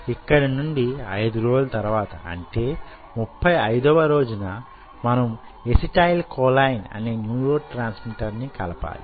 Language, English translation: Telugu, you know, kind of, you know, after five days, which is on a thirty, fifth day, we add another neurotransmitter which is acetylcholine